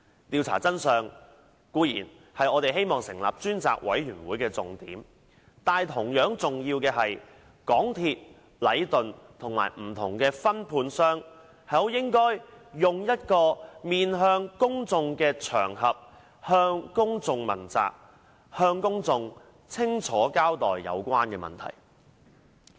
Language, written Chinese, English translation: Cantonese, 調查真相，固然是我們希望成立專責委員會的重點，但同樣重要的是，港鐵公司、禮頓建築有限公司及不同的分判商，應以一個面向公眾的場合，接受公眾問責，向公眾清楚交代有關問題。, The main point of setting up a select committee is of course to ascertain the truth behind the incident but what is equally important is that MTRCL Leighton Contractors Asia Limited and the different subcontractors should be held accountable to all members of the public and clearly explain the relevant matters to them in a public setting